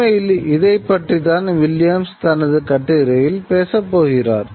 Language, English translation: Tamil, This is something that Williams is actually going to talk about in his essay